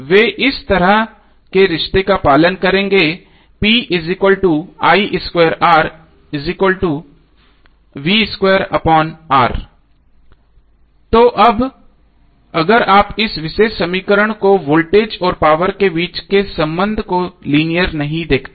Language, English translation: Hindi, So now if you see this particular equation the relationship between voltage and power is not linear